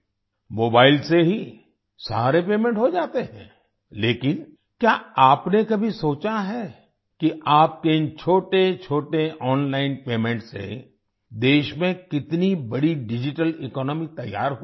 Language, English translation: Hindi, All payments are made from mobile itself, but, have you ever thought that how big a digital economy has been created in the country due to these small online payments of yours